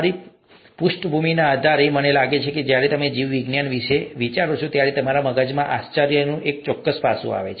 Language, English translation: Gujarati, Depending on your background, I think there is a certain aspect of wonder that comes to your mind when you think of biology